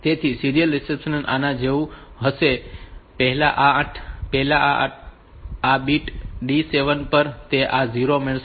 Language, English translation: Gujarati, So, serial deception will be like this that first this bit on this bit D 7